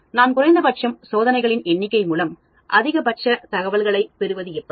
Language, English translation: Tamil, How do I do minimum number of experiments but get maximum information